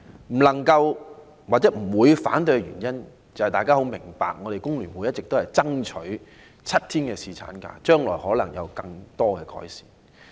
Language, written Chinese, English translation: Cantonese, 不能支持或不會反對的原因，相信大家也很明白，便是香港工會聯合會一直爭取7天侍產假，將來可能還會有進一步的改善。, Members will probably understand why I neither support nor oppose the amendments . The reason is that The Hong Kong Federation of Trade Unions FTU has all along been demanding for seven days paternity leave and further improvements can be made in the future